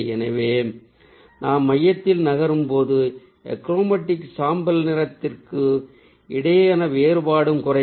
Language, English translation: Tamil, so as we move to the center the contrast between the achromatic grey will reduce